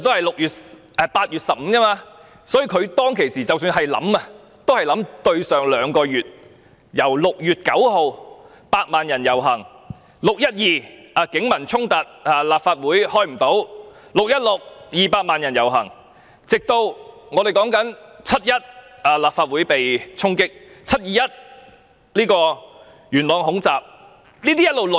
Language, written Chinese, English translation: Cantonese, 措施在8月15日發布，在之前的兩個月 ：6 月9日，百萬人遊行 ；6 月12日，警民衝突，立法會未能開會 ；6 月16日 ，200 萬人遊行 ；7 月1日，立法會被衝擊 ；7 月21日，元朗恐襲。, Two months preceding the announcement of the measures on 15 August on 9 June a million people took to the street; on 12 June there were clashes between the Police and the people and the Legislative Council meeting could not be held; on 16 June 2 million people took to the street; on 1 July the Legislative Council Complex was attacked; on 21 July mod attacks broke out in Yuen Long